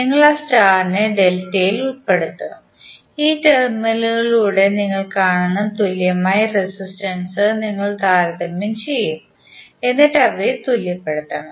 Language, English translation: Malayalam, You will put that star into the delta and you will compare the equivalent resistances which you will see through these terminals and you have to just equate them